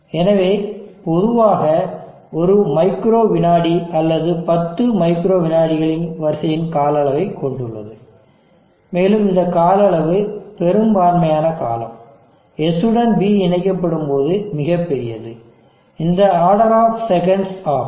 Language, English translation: Tamil, So normally, this is having the time duration of order one micro second or tens of micro second, and this duration majority of the duration, when S is connected to D, is very large it is also order of the seconds